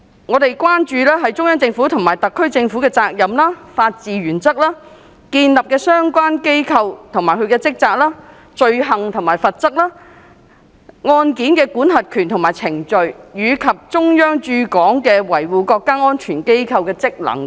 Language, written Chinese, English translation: Cantonese, 我們關注中央政府及特區政府的責任、法治原則、建立的相關機構及其職責、罪行及罰則、案件的管轄權及程序，以及中央駐港維護國家安全機構的職能等。, We are concerned about the respective responsibilities of the Central Government and the SAR Government the rule - of - law principle the institutions to be established and their duties the categories of crimes and their penalties case jurisdiction and procedures the functions and duties of the office to be established by the Central Authorities in Hong Kong for safeguarding national security and so on